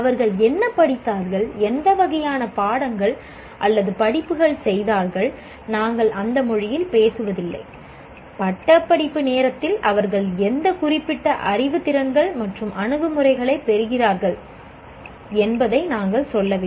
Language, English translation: Tamil, We do not say what they have studied, what kind of subjects or courses they have done, we don't talk in that language, what specific knowledge, skills and attitudes have they acquired by the time, at the time of graduation